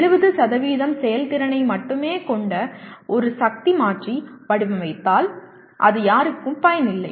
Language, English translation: Tamil, If you design one power converter that has only 70% efficiency it is of absolutely no use to anybody